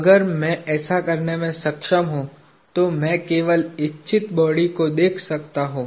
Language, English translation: Hindi, If I am able to do this, then I can only look at the body of interest